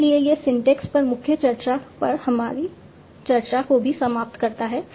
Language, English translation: Hindi, So this also ends our discussions on main discussion on syntax